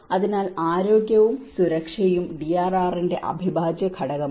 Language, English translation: Malayalam, So, that is how health and safety is an integral part of the DRR